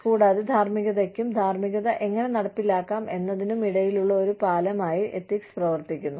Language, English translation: Malayalam, And, ethics serves as a bridge between, morality, and what, how morality can be implemented